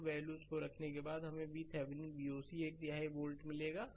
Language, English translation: Hindi, After putting those values we will get V Thevenin is equal to V oc is equal to this one third volt 1 by 3 volt right